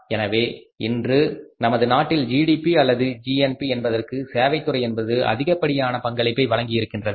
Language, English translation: Tamil, Today the services sector is the highest contributor in the GDP or GNP of this country